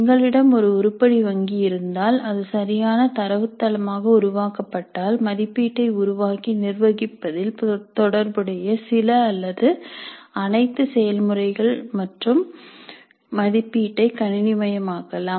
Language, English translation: Tamil, And once we have an item bank and if it is created as a proper database, some are all of the processes associated with creating and administering assessment and evaluation can be computerized